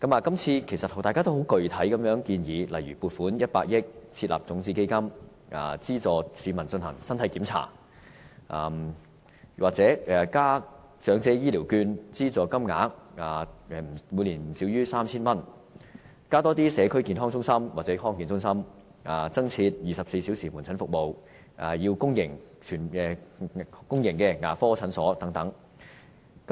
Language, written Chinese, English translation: Cantonese, 今次大家均提出一些具體的建議，例如撥款100億元設立種子基金，資助市民進行身體檢查；又或是增加長者醫療券資助金額至每年不少於 3,000 元；增加社區健康中心或康健中心，增設24小時門診服務，增加公營牙科診所等。, This time around Members have put forward a number of specific proposals such as to allocate 10 billion to set up a seed fund to subsidize the public to undergo physical check - up; or to increase the annual amount of subsidy under the Elderly Health Care Voucher Scheme to no less than 3,000; to set up additional community health centres or district health centres; to provide 24 - hour outpatient services and to increase the number of public dental services and so on